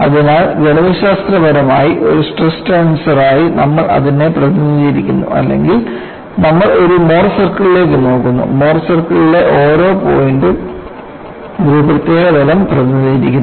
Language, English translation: Malayalam, So, you represent that as stress strengths,or mathematically, or you look at more circle; each point on the more circle represents a particular plane